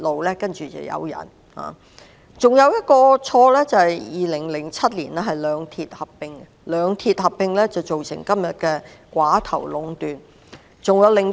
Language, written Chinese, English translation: Cantonese, 另一錯誤是在2007年讓兩鐵合併，造成今天的寡頭壟斷局面。, Another mistake is the merger of the two railway corporations in 2007 which has led to the oligopoly in railway operations today